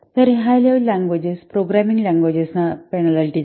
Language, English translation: Marathi, So it penalizes the high level languages, programming languages